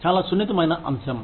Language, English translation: Telugu, Very sensitive topic